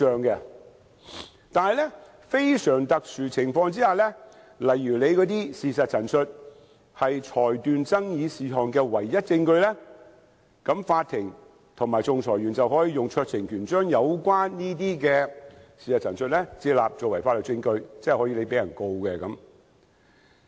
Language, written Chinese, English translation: Cantonese, 但是，在非常特殊的情況下，例如事實陳述是裁斷爭議事項的唯一證據，法庭和仲裁員便能運用酌情權將有關的事實陳述接納，作為法律證據，即是道歉人可被控告。, However in very exceptional cases where there is no evidence available for determining an issue other than the statement of fact it may be admitted as evidence at the discretion of a court or arbitrator . In other words the apology maker may be prosecuted